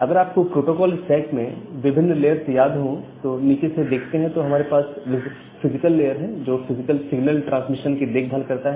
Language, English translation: Hindi, So, if you remember the different layers of the protocol stack at the bottom we have the physical layer; which takes care of physical signal transmission, on top of the physical layer we have the data link layer